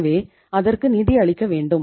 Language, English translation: Tamil, So I have to finance it